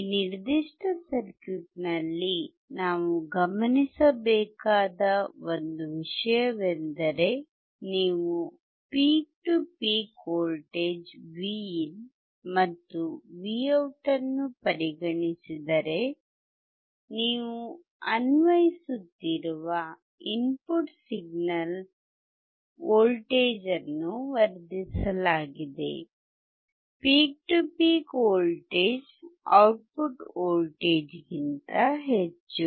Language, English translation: Kannada, One thing that we have to notice in this particular circuit is that the input signal that you are applying if you consider the voltage peak to peak voltage Vin and Vout, the voltage has been amplified; peak to peak voltage is higher when it comes to the output voltage